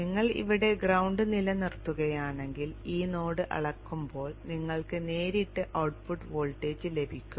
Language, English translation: Malayalam, If we keep the ground here then when you measure this node you will get directly the output voltage